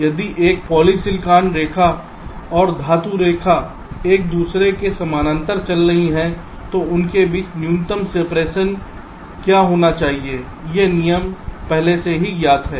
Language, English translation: Hindi, so if there is a poly silicon line and metal line running parallel to each other, what should be the minimum separation between them